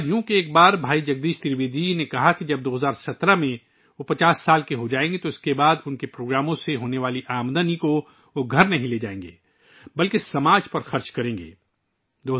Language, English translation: Urdu, It so happened that once Bhai Jagdish Trivedi ji said that when he turns 50 in 2017, he will not take home the income from his programs but will spend it on society